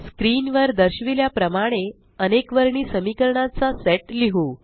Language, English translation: Marathi, Let us write a set of Simultaneous equations now as shown on the screen